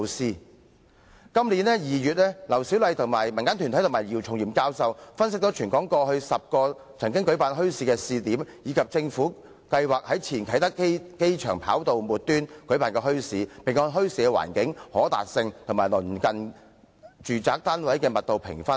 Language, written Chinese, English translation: Cantonese, 在今年2月，劉小麗、民間團體及姚松炎教授分析了全港過去10個曾舉辦墟市的試點，以及政府計劃在前啟德機場跑道末端舉辦的墟市，並按墟市的環境、可達性及鄰近住宅單位的密度評分。, In February this year Dr LAU Siu - lai community organizations and Prof YIU Chung - yim analysed 10 trial points where bazaars had been held and the site at the end of the runway of the former Kai Tak Airport proposed by the Government and gave a score to each of the sites according to the environment accessibility and the density of residential units in the neighbourhood